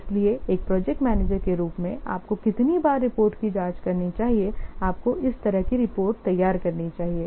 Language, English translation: Hindi, So, the how frequently as a project manager you should check the reports, you should prepare the reports like this